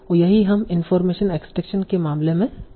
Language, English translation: Hindi, And that's what we will be doing in the case of information extraction